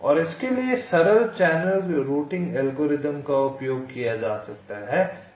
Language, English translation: Hindi, and simple channel routing algorithms can be used for this